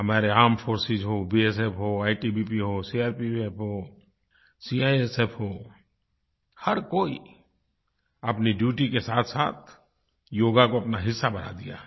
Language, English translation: Hindi, Whether it is our armed forces, or the BSF, ITBP, CRPF and CISF, each one of them, apart from their duties has made Yoga a part of their lives